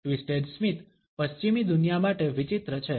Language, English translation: Gujarati, The twisted smile is peculiar to the western world